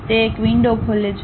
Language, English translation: Gujarati, It opens a window